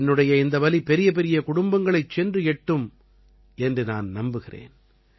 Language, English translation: Tamil, I hope this pain of mine will definitely reach those big families